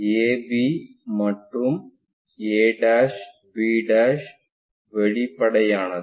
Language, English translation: Tamil, AB is apparent a' b' is also apparent